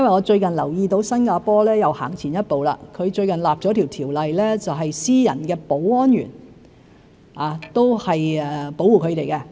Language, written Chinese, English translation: Cantonese, 最近我留意到新加坡又走前了一步，訂立了一項條例，保護私人的保安員不受欺凌。, Recently I have noticed that Singapore has gone another step further by enacting a piece of legislation to protect private security guards from bullying